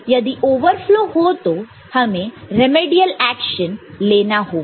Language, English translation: Hindi, And if there is a overflow we have to take remedial action